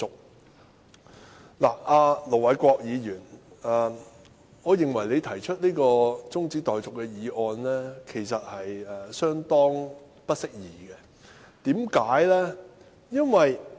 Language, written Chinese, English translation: Cantonese, 我認為盧偉國議員提出這項中止待續議案，相當不適宜，為甚麼？, In my opinion it is rather inappropriate for Ir Dr LO Wai - kwok to move this adjournment motion . Why?